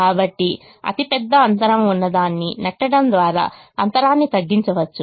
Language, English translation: Telugu, so bridge the gap by pushing the one that has the largest gap